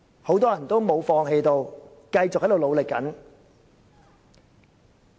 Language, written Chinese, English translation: Cantonese, 很多人也沒有放棄，仍在繼續努力。, There are still many people trying their best with unrelenting perseverance